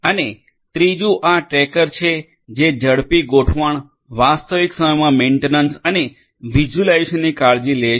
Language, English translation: Gujarati, And the third one is this Tracker which talks about you know which takes care of faster deployment, real time monitoring and visualization